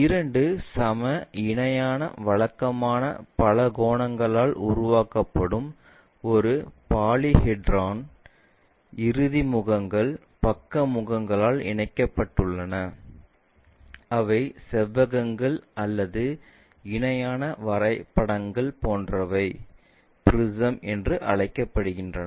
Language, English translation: Tamil, A polyhedra formed by two equal parallel regular polygons, end faces connected by side faces which are either rectangles or parallelograms such kind of objects what we call as prisms